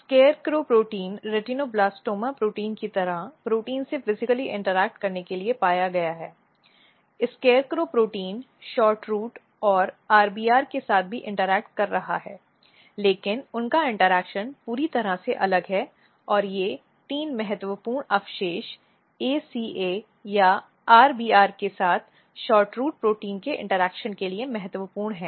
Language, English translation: Hindi, And what happens that these SCARECROW protein it has been found to physically interact with RETINOBLASTOMA like protein and what and this if you look SCARECROW protein is also interacting with SHORTROOT and interacting with RBR, but their interaction is totally different and these three important residues ACA it is important for interaction of SHORTROOT protein with RBR if you mutate this residues at the place of this residues